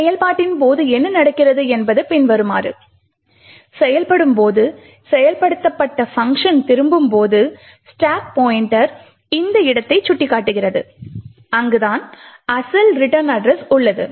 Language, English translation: Tamil, What happens during execution is as follows, when the function that is getting executed returns at that particular time the stack pointer is pointing to this location where the original return address should be present